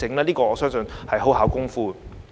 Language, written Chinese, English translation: Cantonese, 這點我相信很費工夫。, I believe this will take a lot of effort